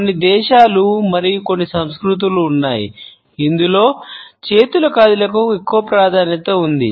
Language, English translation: Telugu, There are certain countries and certain cultures in which there is relatively more emphasis on the movement of hands